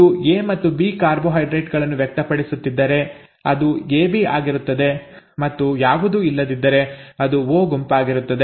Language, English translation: Kannada, If it is both A and B carbohydrates being expressed, it is AB and if none are present it is group O, okay